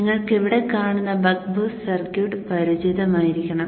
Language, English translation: Malayalam, The buck boost circuit as you see here must be familiar to you